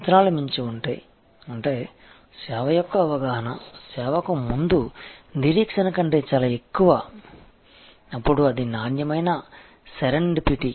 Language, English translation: Telugu, That if the expectations are exceeded; that means, perception of the service is much higher than the expectation before the service, then it is a quality serendipity